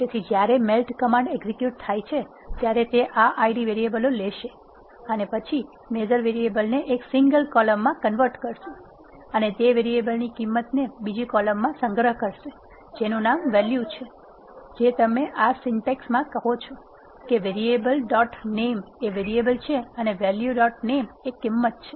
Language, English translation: Gujarati, So, when the melt command is executed, it will take this Id variables and keep them assist and then convert the measure variables into, one single column which is given by variable and stores the values of those variables, in another column by name value, that is what when you say in this syntax variable dot name is variable and value dot name is value means